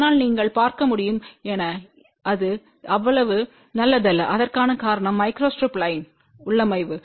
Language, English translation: Tamil, But as you can see it is not so good the reason for that is that the micro strip line configuration